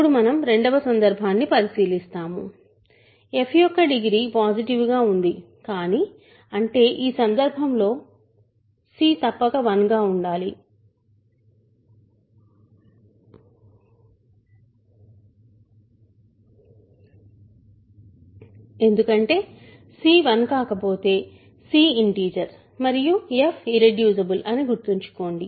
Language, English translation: Telugu, So, now we consider the second case, degree of f is positive, but; that means, in this case c must be 0 sorry c must be 1 because if c is not 1, remember c is an integer f is irreducible